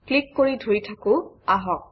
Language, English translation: Assamese, Let us click and hold